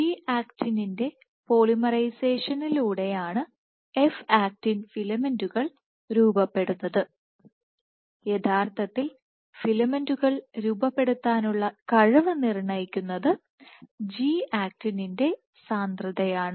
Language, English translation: Malayalam, So, F actin filaments are formed by polymerization of G actin and the ability to form filaments actually determined is dictated by the concentration of G actin